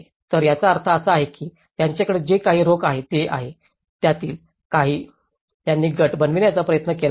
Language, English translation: Marathi, So, which means whatever the cash inflows they have got, some of them they have tried to form into groups